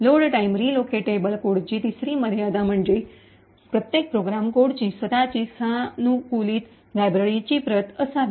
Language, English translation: Marathi, Third limitation of the load time relocatable code is that each program code, should have its own customized copy of the library